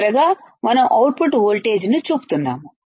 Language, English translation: Telugu, Finally, we are showing the output voltage